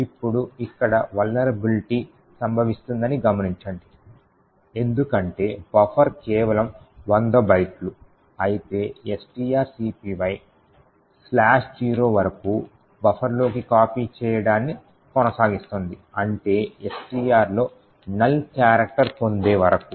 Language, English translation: Telugu, Now note that the vulnerability occurs over here because buffer is of just 100 bytes while string copy would continue to copy into buffer until slash zero or a null character is obtained in STR